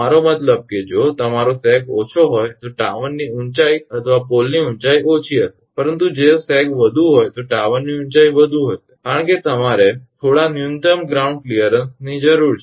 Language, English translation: Gujarati, I mean if your sag is low then tower height or pole height will be less, but if sag is more then tower height will be more because you need some minimum ground clearance